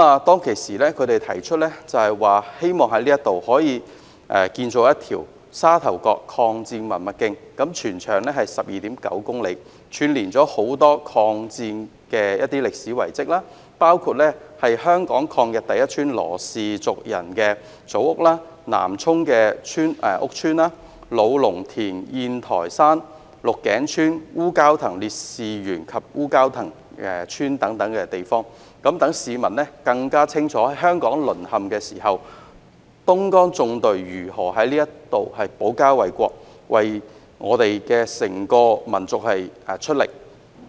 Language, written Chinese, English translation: Cantonese, 當時他們提出希望可以在這裏建造一條"沙頭角抗戰文物徑"，全長 12.9 公里，串連許多與抗戰相關的歷史遺址，包括香港抗日第一家羅氏族人的祖屋、南涌羅屋村、老龍田宴臺山、鹿頸村、烏蛟騰烈士紀念園及烏蛟騰村等，讓市民更清楚在香港淪陷期間，東江縱隊如何在這裏保家衞國，為整個民族出力。, They have expressed the wish to build a Sha Tau Kok Heritage Trail there to commemorate the War of Resistance . This trail which will be 12.9 km long will link up many historical sites relating to the War of Resistance including the ancestral house of the LUOs family which was the leading family in the fight against Japanese aggression in Hong Kong Lo Uk Village in Nam Chung Yin Toi Shan in Lo Lung Tin Luk Keng Tsuen Wu Kau Tang Martyrs Memorial Garden Wu Kau Tang Village etc . It will enable the public to have a better understanding of how the Dongjiang Column defended the country at these places during the fall of Hong Kong and made contribution to the whole nation